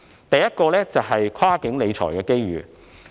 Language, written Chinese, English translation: Cantonese, 第一，是跨境理財的機遇。, Firstly it is the opportunity for cross - boundary financial management